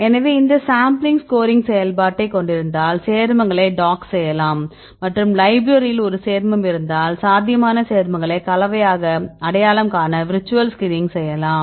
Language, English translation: Tamil, So, we have these sampling and then if you have the scoring function, then you can dock the compounds and if you have a set of compounds in library you can do the virtual screening right to identify the probable compounds as the potentially it compounds right